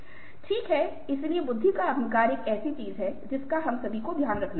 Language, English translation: Hindi, ok, so the arrogance of intelligence is something which has to be taken care of by all of us